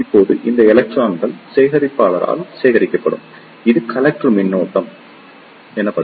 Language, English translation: Tamil, Now, these electrons will be collected by the collector and this will constitute the collector current